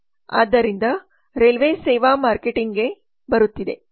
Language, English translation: Kannada, so coming to the railways service marketing